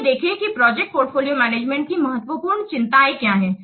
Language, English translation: Hindi, Let's see what are the important concerns of project portfolio management